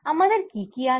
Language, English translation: Bengali, what do we have